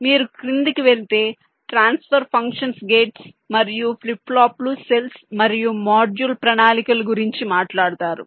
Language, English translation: Telugu, if you go down, you talk about transfer functions, gates and flip flops, cells and module plans